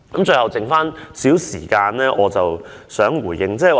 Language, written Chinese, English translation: Cantonese, 最後，剩餘少許時間，我想作少許回應。, Lastly with the little time left I wish to briefly make a response